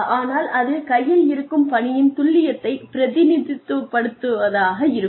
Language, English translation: Tamil, But, that is an accurate representative, of the task at hand